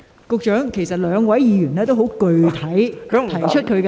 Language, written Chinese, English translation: Cantonese, 局長，其實兩位議員均很具體地提出問題。, Secretary in fact the two Members have specifically raised their questions